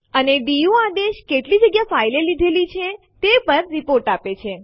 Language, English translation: Gujarati, And the du command gives a report on how much space a file has occupied